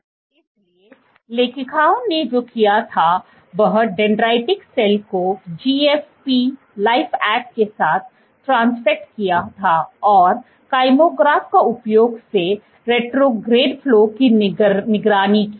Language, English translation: Hindi, So, what the authors had done was transfected cells, dendritic cells, with GFP LifeAct and monitored the retrograde flow and using kymographs